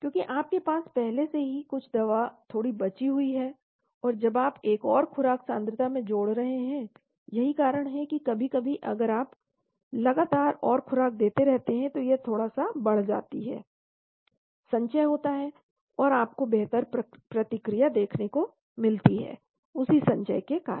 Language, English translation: Hindi, Because you already have some drug little bit left, and when you are adding one more dose concentration, that is why sometimes if you keep giving more doses continuously there is slight build up , accumulation and you will see better response, because of that accumulation